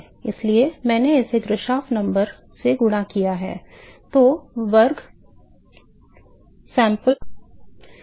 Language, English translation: Hindi, So, I multiplied it by grashof number